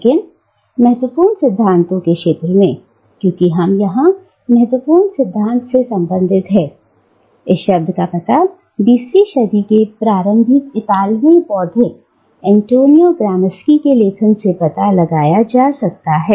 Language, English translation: Hindi, But in the field of critical theory, because we are concerned with critical theory here, the term can be traced back to the writings of the early 20th century Italian intellectual Antonio Gramsci